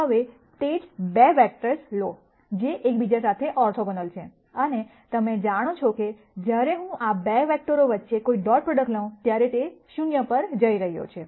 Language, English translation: Gujarati, Now, take the same 2 vectors, which are orthogonal to each other and you know that, when I take a dot product between these 2 vectors it is going to go to 0